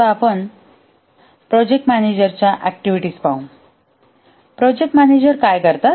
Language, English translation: Marathi, Now let's look at the activities of the project manager